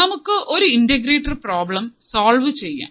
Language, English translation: Malayalam, Let us solve a problem for the integrator